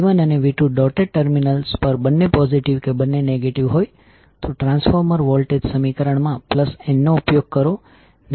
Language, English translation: Gujarati, If V 1 and V 2 are both positive or both negative at the dotted terminals then we will use plus n in the transformer voltage equation otherwise we will use minus n